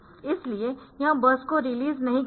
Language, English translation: Hindi, So, it is it will not release the bus